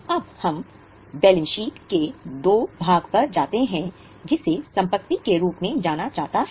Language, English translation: Hindi, Now let us go to the second part of balance sheet that is known as assets